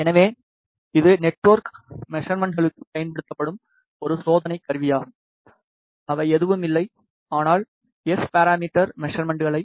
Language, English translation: Tamil, So, this is a test instrument used for network measurements, which are nothing, but S parameter measurements